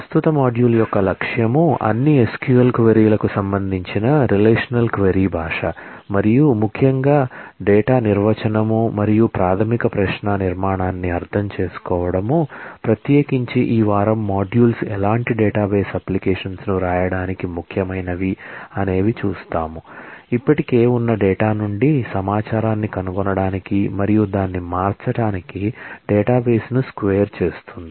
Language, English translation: Telugu, The objective of the current module is to, understand the relational query language and particularly the data definition and the basic query structure, that will hold for all SQL queries, particularly this the modules this week would be important for writing any kind of database applications, squaring the database to find information from the existing data and to manipulate it